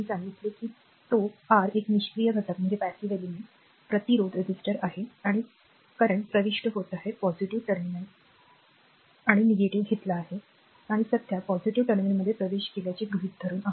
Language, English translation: Marathi, I told you that R is a R is a passive element resistor is a passive element and current entering into the positive we have taken plus minus and assuming current entering a positive terminal